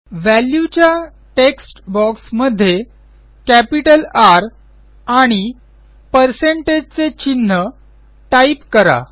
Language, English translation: Marathi, In the Value text box, let us type in capital R and a percentage symbol